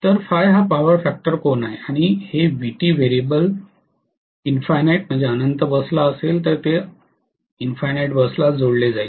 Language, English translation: Marathi, Whereas, phi is the power factor angle and this Vt in variably will be to the infinite bus, it will be connected to the infinite bus